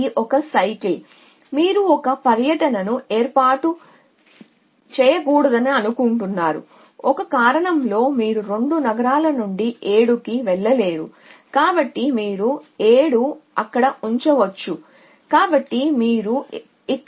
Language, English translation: Telugu, So, that is so cycle that you do not want to form and for the single reason you we any way you cannot go to 7 from 2 cities so you can put 7 there so you would put 7 random value here